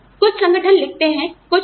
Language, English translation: Hindi, Some organizations write that, some do not